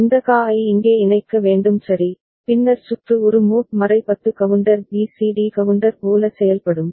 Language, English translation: Tamil, And this QA need to be connected over here ok, then the circuit will behave like a mod 10 counter BCD counter right